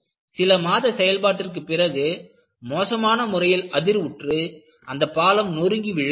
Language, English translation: Tamil, After a few months of operation, it violently vibrated and the whole bridge collapsed